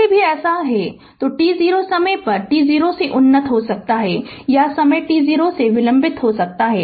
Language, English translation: Hindi, Previously also if so in t 0 right it may be advanced by time t 0 or delayed by time t 0